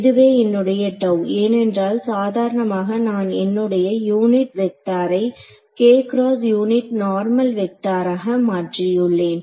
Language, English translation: Tamil, So, this was my gamma normally why because I simply replaced my unit vector k hat by the unit normal vector n hat